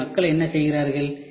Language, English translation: Tamil, So, what people do